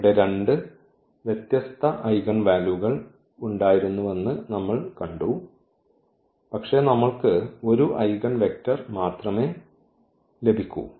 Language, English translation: Malayalam, So, here we have seen there were two different eigenvalues, but we get only one eigenvector